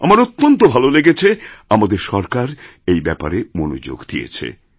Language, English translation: Bengali, And I'm glad that our government paid heed to this matter